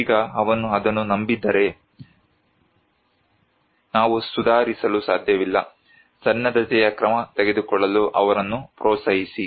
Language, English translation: Kannada, Now, if he does not believe it, we cannot improve; encourage him to take preparedness action